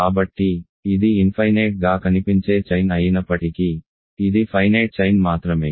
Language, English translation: Telugu, So, though it is an infinite looking chain, it is only a finite chain